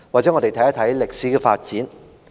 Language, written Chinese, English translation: Cantonese, 讓我們看一看歷史的發展。, Let us take a look at the historical development